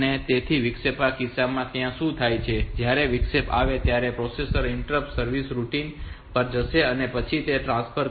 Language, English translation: Gujarati, When the interrupt come the processor will go to the interrupt service routine and then it will do that transfer